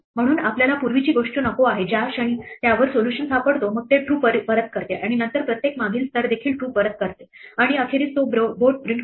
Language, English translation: Marathi, So, we do not wants the previous thing in the moment it find a solution then it returns true and then every previous level also returns true and eventually it print out the board